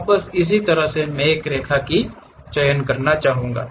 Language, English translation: Hindi, Now, similarly I would like to draw something like a Line